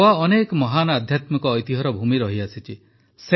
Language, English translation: Odia, Goa has been the land of many a great spiritual heritage